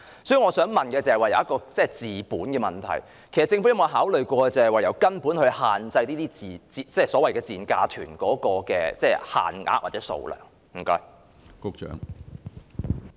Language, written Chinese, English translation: Cantonese, 所以，我想問的是有關治本的問題，政府有否考慮從根本解決問題，限制這類所謂"賤價團"的限額或數量？, I therefore would like to ask a fundamental question Has the Government ever considered tackling the problem at root by limiting the quota or number of these dirt - cheap - fare tour groups?